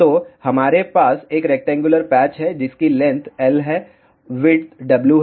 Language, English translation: Hindi, So, here we have a rectangular patch whose length is L width is W